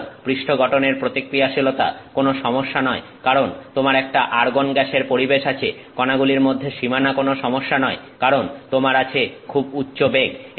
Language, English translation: Bengali, So, surface composition reactivity is not an issue you have an argon atmosphere, boundary between particles is not an issue because you have got very high velocities